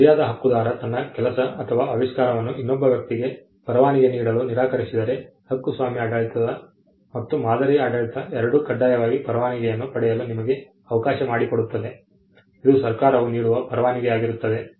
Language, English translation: Kannada, If the right holder refuses to license his work or his invention to another person, both the copyright regime and the pattern regime allow you to seek a compulsory license, which is a license granted by the government